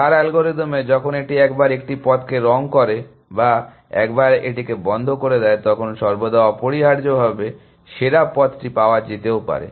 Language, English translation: Bengali, star algorithm, when once it colors a path or once it puts it in close either always found the best path essentially